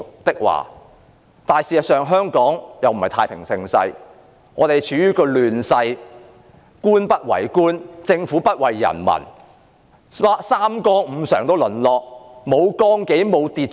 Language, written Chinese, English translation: Cantonese, 不過，香港事實上並非處於太平盛世，而是處於亂世：官不為官，政府不為人民，三綱五常淪落，沒有綱紀，沒有秩序。, But Hong Kong today is not in peace and prosperity; rather it is undergoing a most chaotic time . Government officials are lazy and incompetent and the Government is not for the people . All principles and virtues are long forgotten